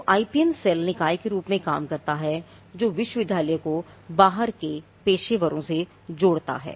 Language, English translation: Hindi, So, the IPM cell acts as the body that connects the university to the professionals outside